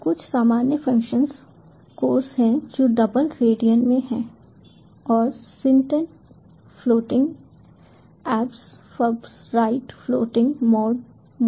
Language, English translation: Hindi, so some of the common functions are: cos, which is in double radian, and sin, tan floating, absolute fabs right floating mod